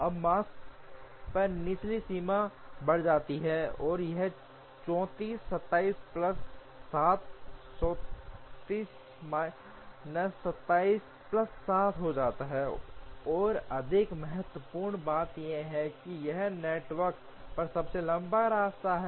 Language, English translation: Hindi, Now, the lower bound on the Makespan increases and it becomes 34 27 plus 7 more importantly it is the longest path on the network